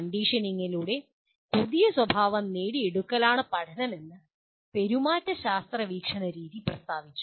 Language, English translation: Malayalam, And here the school of behaviorism stated learning is the acquisition of new behavior through conditioning